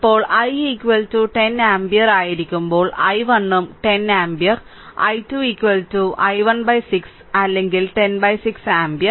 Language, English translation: Malayalam, Now when i is equal to 10 ampere so i 1 also 10 ampere; so, i 2 is equal to i 1 by 6 or 10 by 6 ampere